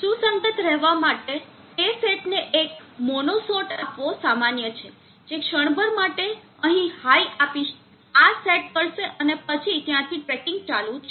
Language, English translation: Gujarati, In order to be consistent it is normal to give to the set import has small mono shot which will give a high hear momentarily set this and then from there on the tracking continues